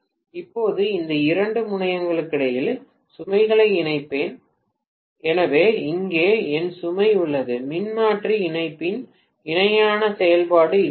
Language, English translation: Tamil, right Now, I will connect the load between these two terminals, so here is my load, this is how parallel operation of the transformer connection is made